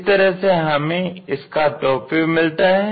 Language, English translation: Hindi, In this way, it looks like in the top view